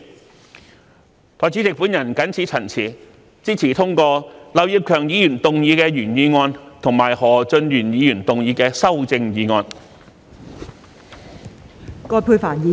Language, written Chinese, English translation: Cantonese, 代理主席，我謹此陳辭，支持通過劉業強議員動議的原議案及何俊賢議員動議的修正案。, With these remarks Deputy President I support that the original motion moved by Mr Kenneth LAU and the amendment moved by Mr Steven HO be passed